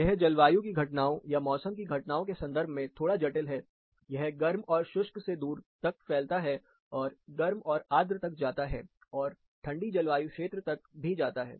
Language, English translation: Hindi, It is little complicated in terms of the climate occurrences, or the weather occurrences, it spreads as far from, the hot and dry, goes up to hot and humid, and goes all the way to a cold climate